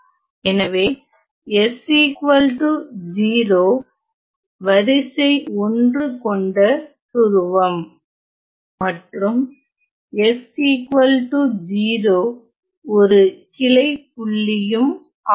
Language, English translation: Tamil, So, hence 0 s equals 0 is a first order pole and s equals 0 is also a branch point